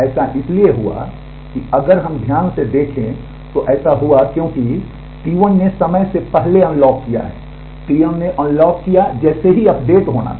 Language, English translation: Hindi, This happened because if we look carefully this has happened because, T 1 has unlocked to prematurely T 1 has unlocked as soon as the update to be was over